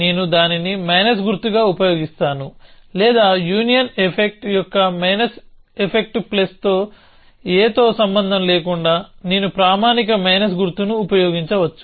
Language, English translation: Telugu, I will use this as a minus sign or I can use a standard minus sign whatever the effects minus of a union effects plus a